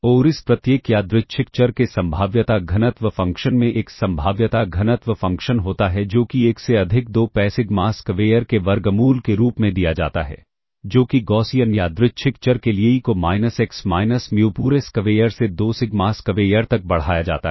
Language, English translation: Hindi, And the probability density function of this every random variable has a probability density function that is given as 1 over square root of 2 pi sigma square for the Gaussian Random Variable e raised to minus x minus mu whole square by 2 sigma square